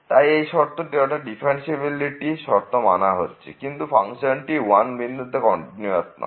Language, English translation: Bengali, So, this condition is met differentiability condition is met, but the function is not continuous at 1